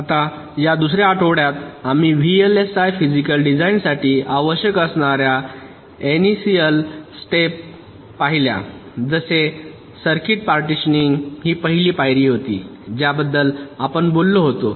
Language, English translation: Marathi, now, during this second week we looked at some of the means, initial steps, that are required for the vlsi physical design, like circuit partitioning, was the first step we talked about